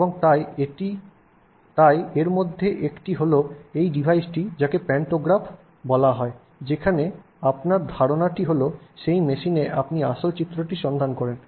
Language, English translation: Bengali, And so one of those is this device called a pantograph where the idea is that on that machine you will trace the original figure